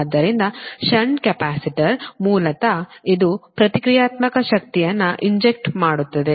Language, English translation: Kannada, so shunt capacitor, basically it injects reactive power